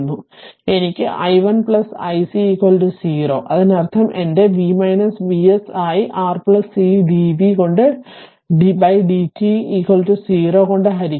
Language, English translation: Malayalam, I can make i 1 plus your i c is equal to 0; that means, my this is be V minus V s divided by R plus c into d v by d t is equal to 0 right